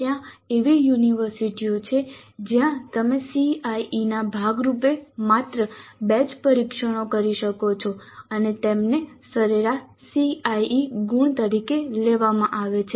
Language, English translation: Gujarati, There are universities where you can conduct only two tests as a part of CIE and their average is taken as the CIE marks